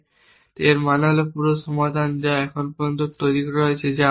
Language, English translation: Bengali, It means the whole solution that has been constructed so far which we will as a